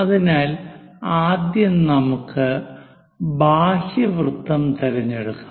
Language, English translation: Malayalam, So, let us pick the outer circle, this one